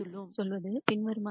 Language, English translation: Tamil, What this basically says is the following